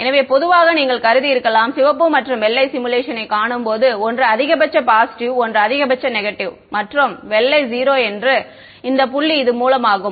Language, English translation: Tamil, So, typically when you see a simulation of red and white then you should have assumed that one is maximum positive, one is maximum negative and white is 0 this dot that is the source